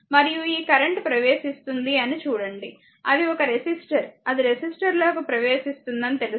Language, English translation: Telugu, And look this current entering it is a resistor know it will observe power